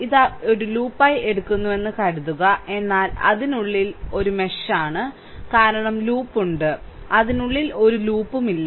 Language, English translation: Malayalam, Suppose, we are taking it as a loop, but within that within that; this is this is a mesh because there is loop, there is no loop within that right